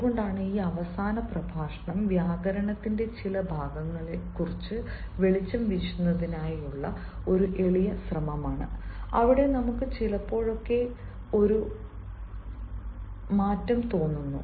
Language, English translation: Malayalam, that is why this last lecture is a humble attempt to throw some light on certain parts of grammar where we at times feel saky